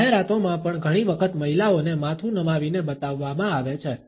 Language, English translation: Gujarati, Women are often also shown in advertisements tilting their heads